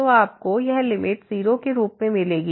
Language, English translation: Hindi, So, you will get this limit as 0